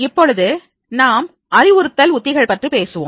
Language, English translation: Tamil, Now, we will talk about the instructional strategies